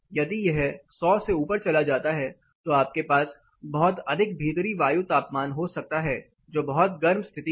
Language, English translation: Hindi, If it goes above 100 you can have a very high indoor air temperature which is pursued to be hard